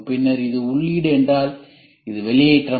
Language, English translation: Tamil, Then it comes to it is input and if you, this is sign off